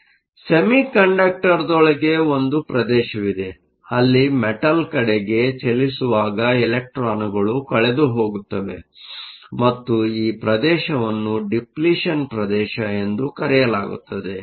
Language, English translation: Kannada, So, there is a region within the semiconductor where electrons are lost as they move into the metal and this region is called the Depletion region